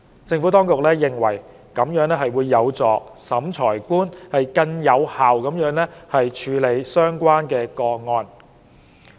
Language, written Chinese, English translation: Cantonese, 政府當局認為，這有助審裁官更有效地處理相關個案。, The Administration considers that this would assist the Revising Officer in handling such cases more effectively